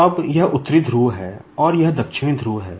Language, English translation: Hindi, Now, this is the North Pole and this is the South Pole